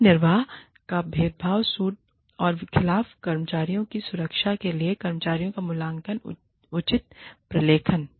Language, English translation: Hindi, Proper documentation of employee appraisals, to protect employees against, wrongful discharge, or discrimination suits